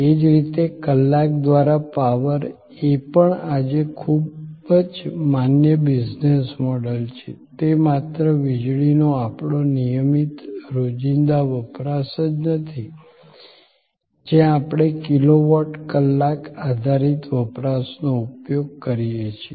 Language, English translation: Gujarati, Similarly, power by hour is also very valid business model today, it is not only our regular everyday usage of electricity where we are using kilowatt hour based consumption